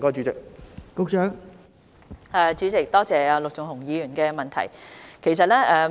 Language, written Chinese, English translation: Cantonese, 代理主席，多謝陸頌雄議員的補充質詢。, Deputy President I thank Mr LUK Chung - hung for his supplementary question